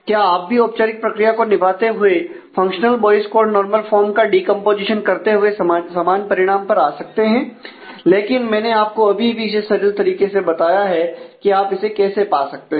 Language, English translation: Hindi, So, you can you could come to the same result by doing the formal process of functional Boyce Codd normal form decomposition, but I have just shown you here as to intuitively how you get this